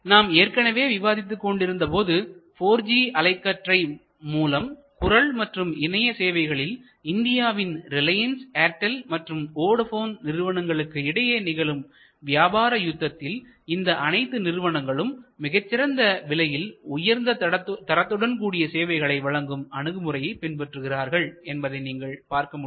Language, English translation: Tamil, And as I was mentioning this coming battle for 4G mobile voice and data in India will show you as it is evolving right now and different service providers like Reliance and Airtel and Vodafone or coming, you will see that almost every strategy of all these major players will be derived out of this best cost that is low cost high quality approach